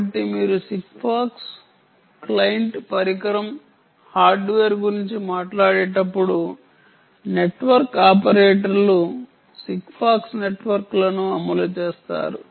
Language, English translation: Telugu, so when you talk about sigfox client device hardware, the network operators deploying sigfox networks, all data moves through sigfox cloud only